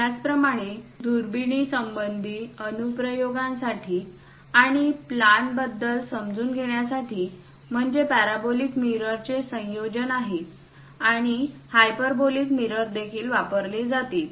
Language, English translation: Marathi, Similarly, for telescopic applications and understanding about plan is a combination of parabolic mirrors and also hyperbolic mirrors will be used